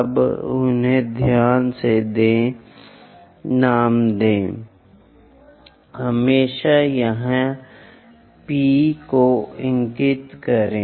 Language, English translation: Hindi, Now name them carefully, always point P somewhere here